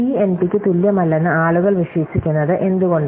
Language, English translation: Malayalam, So, why do people believe that P is not equal to NP